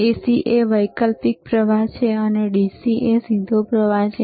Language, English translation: Gujarati, So, AC is alternating current and DC is direct current